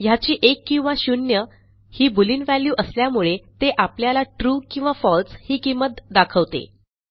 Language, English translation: Marathi, Since this holds Boolean values 1 or 0, it displays True or False